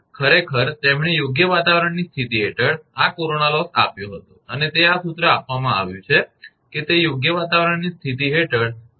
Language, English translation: Gujarati, Peek, actually he gave this corona loss under fair weather condition and it is given this formula is it is under fair weather condition